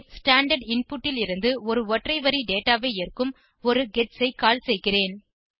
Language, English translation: Tamil, Then I call a gets, which will accept a single line of data from the standard input